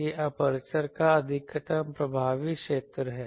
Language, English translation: Hindi, This is maximum effective area of the aperture